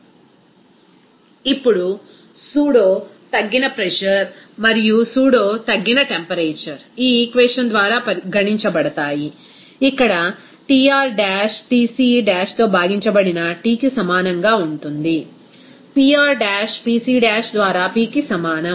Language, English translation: Telugu, Now the pseudoreduced pressure and the pseudoreduced temperature are calculated using by this equation here Tr dash will be equal to T divided by Tc dash, Pr dash will be is equal to P by Pc dash